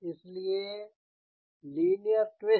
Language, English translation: Hindi, so linear twist